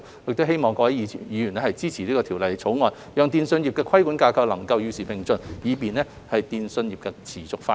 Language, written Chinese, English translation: Cantonese, 我希望各位議員支持《條例草案》，讓電訊規管架構能夠與時並進，以便電訊業持續發展。, I hope that Members will support the Bill so that the telecommunications regulatory framework can be kept updated to facilitate the sustainable development of the telecommunications industry